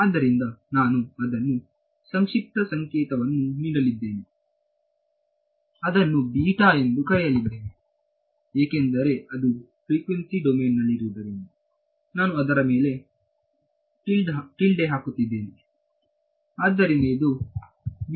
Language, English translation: Kannada, So, I am going to give it a shorthand notation I am going to call it beta ok, since it is in the frequency domain I am putting a tilde on its